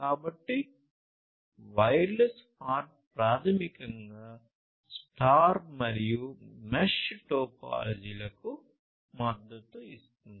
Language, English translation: Telugu, So, wireless HART basically supports both star and mesh topologies